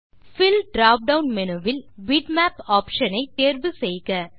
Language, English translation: Tamil, From the Fill drop down menu, select the option Bitmap